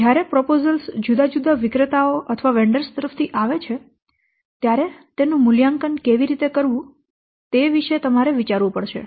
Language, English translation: Gujarati, You have to think of when the proposals will come from different vendors how to evaluate